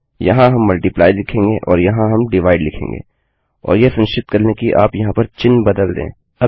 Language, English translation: Hindi, And here well say multiply and well say divide and make sure you change the sign here